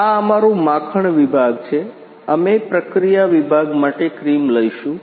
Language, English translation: Gujarati, This is our butter section; we will take cream for process section